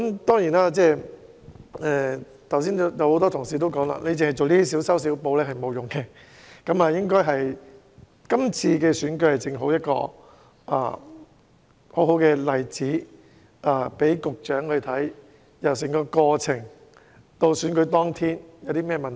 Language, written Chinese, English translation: Cantonese, 當然，正如剛才很多同事所說，當局這些小修小補是沒有效用的，而區議會選舉正好讓局長看到整個選舉過程以至選舉當天出現了甚麼問題。, Certainly as many colleagues have said earlier these piecemeal amendments are not effective enough . The District Council DC Election held recently has reflected to the Secretary problems which have occurred during the entire election process and on the election day